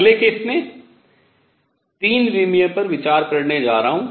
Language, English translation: Hindi, Next going to consider is 3 dimensional case